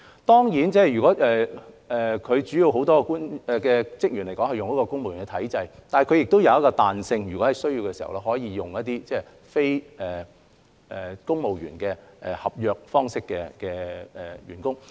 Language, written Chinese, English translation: Cantonese, 當然，港台很多主要職員按公務員體制聘用，但亦具彈性，有需要時可以非公務員合約方式聘用員工。, Of course many key staff members of RTHK are employed under the civil service system but there is also flexibility to employ staff on non - civil service contracts when necessary